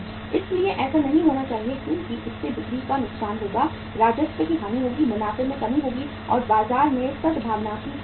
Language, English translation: Hindi, So that should not be there because that will be the loss of sales, loss of revenue, loss of profits, and loss of goodwill in the market